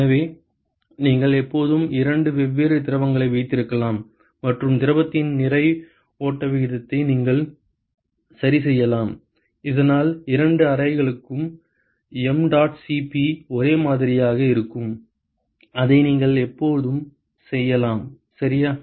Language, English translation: Tamil, So, you can always have two different fluids and you can adjust the mass flow rate of the fluid so that mdot Cp is same for both the chambers you can always do that ok